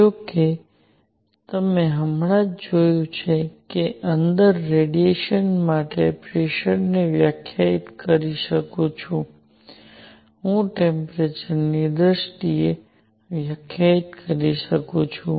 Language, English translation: Gujarati, However, as you just seen that I can define pressure for radiation inside, I can define in terms of temperature